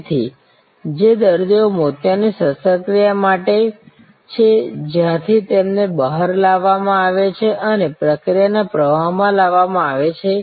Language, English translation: Gujarati, So, the patients who are for cataract surgery where therefore, brought out and fed into the process flow